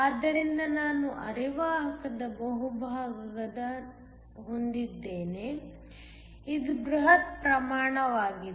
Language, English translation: Kannada, So, I have the bulk of the semiconductor, this is the bulk